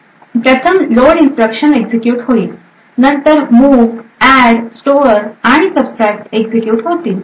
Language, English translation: Marathi, So, firstly load instruction executes, then move, add, store and subtract